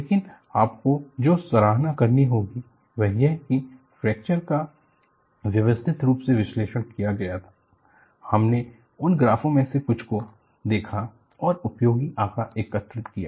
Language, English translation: Hindi, But what you will have to appreciate is, the fractures were very systematically analyzed, you would also say some of that graphs, and useful data was collected